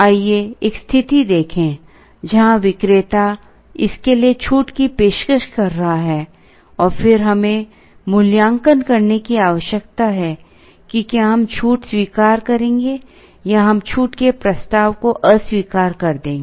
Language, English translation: Hindi, Let us look at a situation where the vendor is offering a discount for this, and then we need to evaluate, whether we will accept the discount or we will reject the offer of discount